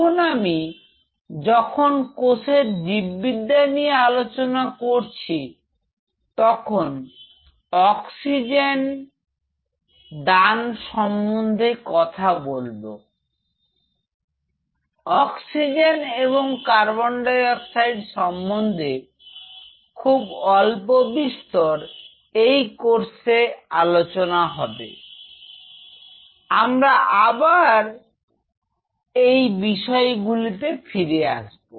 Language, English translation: Bengali, Now, while talking about the biology of the cells we talked about the oxygen tension, oxygen and carbon dioxide very briefly of course, we will come back to this thing